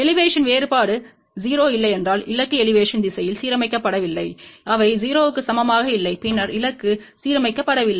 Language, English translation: Tamil, If Elevation difference is not 0 then the target is not aligned in Elevation direction andboth of them are not equal to 0 then the target is not aligned